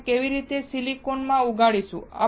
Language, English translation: Gujarati, How will we grow the silicon